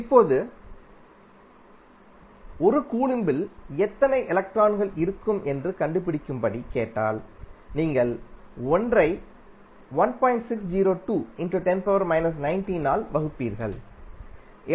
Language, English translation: Tamil, Now, if you are asked to find out how many electrons would be there in 1 coulomb of charge; you will simply divide 1